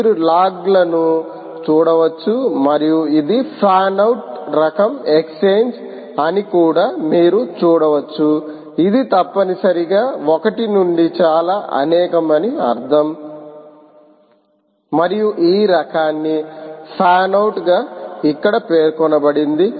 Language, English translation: Telugu, and you can also see that this is a fan out type of exchange, which essentially means one to many, and the type is mentioned here as fan out